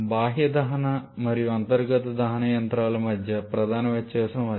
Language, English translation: Telugu, That is the major difference between external combustion and internal combustion engines